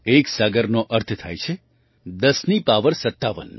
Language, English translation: Gujarati, One saagar means 10 to the power of 57